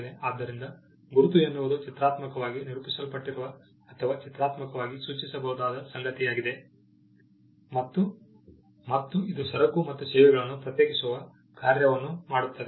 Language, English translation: Kannada, So, a mark is something that can be graphically indicated represented graphically, and it does the function of distinguishing goods and services